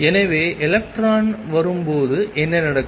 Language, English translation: Tamil, So, what happens when electron comes in